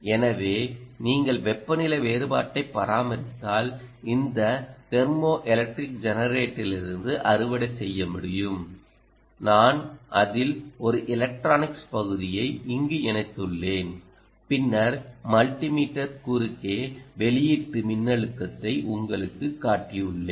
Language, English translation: Tamil, so if you maintain the differential delta t, you should be able to harvest from this thermoelectric generator, to which i have connected a piece of electronics here, and then i have shown you the output voltage across the multi meter